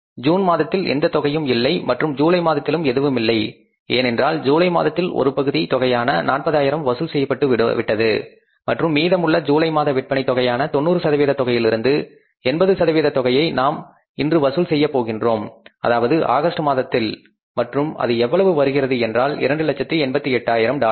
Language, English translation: Tamil, We have already collected in July the cash part that is 40,000 we have already collected and remaining amount is 80% of the 90% of the sales of July we are going to collect here that is in the month of August and that works out as 288 thousand dollars